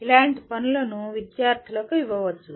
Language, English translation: Telugu, Such assignments can be given to the students